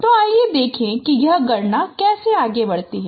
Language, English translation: Hindi, So let us see how this computation proceeds